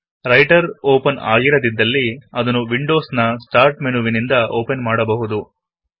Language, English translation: Kannada, If Writer is not open, we can invoke it from the Windows Start menu